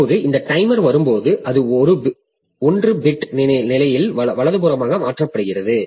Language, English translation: Tamil, Now, when this timer comes, then it is shifted right by 1 bit position